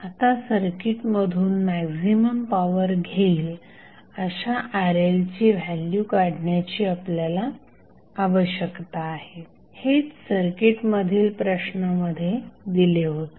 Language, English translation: Marathi, Now, we need to find out the value of Rl which will absorb maximum power from the circuit, that is the circuit which was given in the question